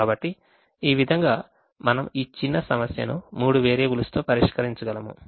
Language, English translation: Telugu, so this way we can actually solve this small problem with three variables